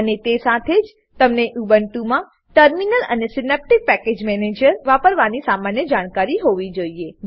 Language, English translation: Gujarati, And you must also have knowledge of using Terminal and Synaptic Package Manager in Ubuntu